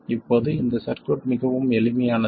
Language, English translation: Tamil, Now this circuit is extremely simple